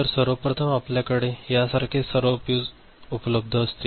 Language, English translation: Marathi, So, to begin with you have all the fuses present like this is the original thing